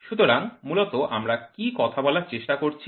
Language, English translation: Bengali, So, basically what are we trying to talk